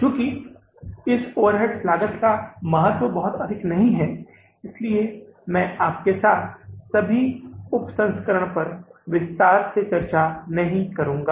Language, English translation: Hindi, Since the importance of this overhead cost is not very high, so I will not discuss all the sub variances with you in detail